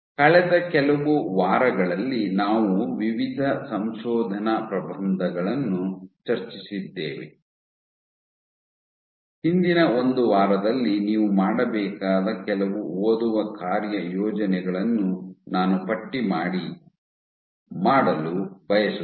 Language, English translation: Kannada, In the past few weeks; in the past few weeks we have discussed various papers I would like to list what are some reading assignments that you would have to do for the last one week